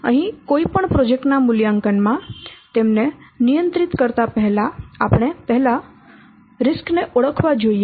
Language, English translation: Gujarati, So here in any project evaluation, we should identify the risk first